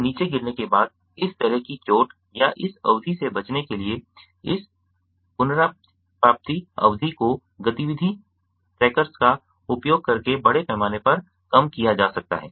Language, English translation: Hindi, so to avoid this kind of injury or this duration after falling down, so this recovery duration can be massively reduced by using activity trackers